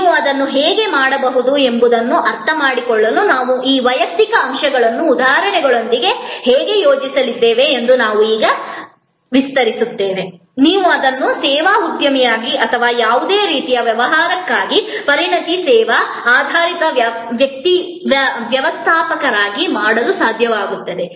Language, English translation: Kannada, We will now expand that how we are going to deploy these individual elements with examples to understand that how you could do that, you will be able to do that as a service entrepreneur or as a service entrepreneur or as a expert service oriented manager for any kind of business